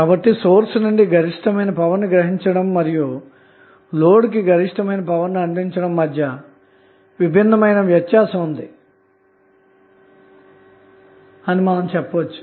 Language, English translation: Telugu, So, what we can say now, that, there is a distinct difference between drawing maximum power from the source and delivering maximum power to the load